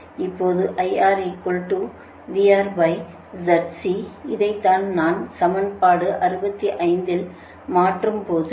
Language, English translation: Tamil, you substitute it in equation sixty six